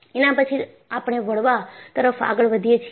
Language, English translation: Gujarati, Then, we move on to bending